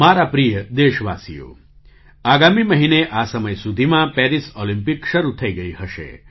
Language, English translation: Gujarati, My dear countrymen, by this time next month, the Paris Olympics would have begun